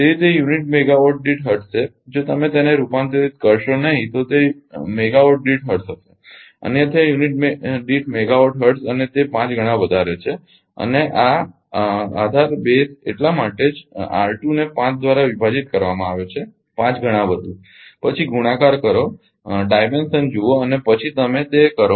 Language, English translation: Gujarati, So, it is hertz per megawatt right ah if you if you do not convert it to that then it will be hertz per megawatt; otherwise hertz per unit megawatt and it is 5 times more and this base that is why R 2 is divided by 5 5 times more than multiply look at the dimension and then you do it